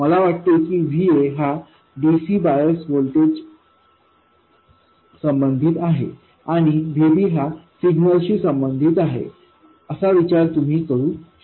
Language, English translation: Marathi, You could think of VA as corresponding to the DC bias voltage and VB as corresponding to the signal